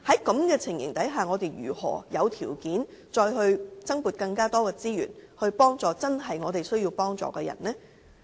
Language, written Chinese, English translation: Cantonese, 在這情況下，我們怎會有條件再增撥資源幫助真正需要幫助的人呢？, Under such circumstances how can we have room to allocate more resources to help those with genuine needs?